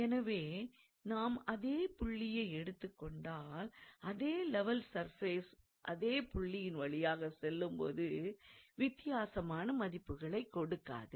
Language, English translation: Tamil, So, if you assume the same point, so the same level surface that is passing through the point cannot yield to different values